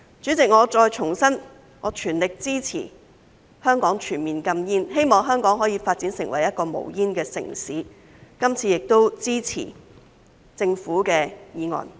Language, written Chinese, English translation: Cantonese, 主席，我重申，我全力支持香港全面禁煙，希望香港可以發展成一個無煙城市，今次也支持政府的《條例草案》。, President I reiterate that I fully support a total ban on smoking in Hong Kong and hope that Hong Kong can develop into a smoke - free city . This time I will also support the Bill submitted by the Government